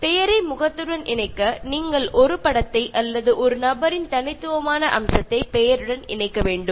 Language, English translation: Tamil, And to tie the name to the face, you should associate an image or a distinctive feature of the person with the name